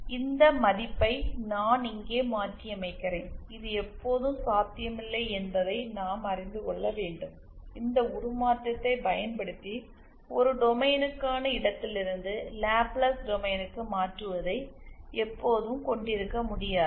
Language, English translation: Tamil, And I am substituting this value here, what I get isÉ Now we should know that this is not always possible, we cannot always have conversion from the for a domain to the Laplace domain using this transformation